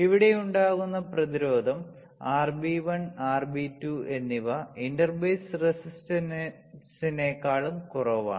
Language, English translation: Malayalam, The resistance which is caused here RB1 and RB2 this resistors are lower than the inter base resistance